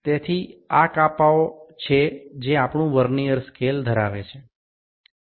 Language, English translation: Gujarati, So, these are the divisions which our Vernier scale has